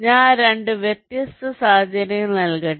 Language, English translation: Malayalam, here let me give two different scenarios